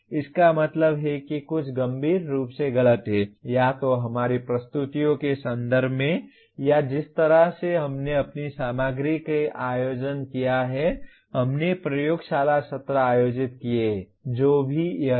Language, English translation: Hindi, That means there is something seriously wrong either in terms of our presentations or the way we organized our material or we conducted the laboratory sessions, whatever it is